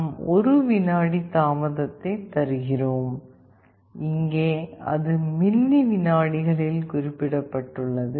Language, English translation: Tamil, Then we are giving a delay of one second, here it is specified in millisecond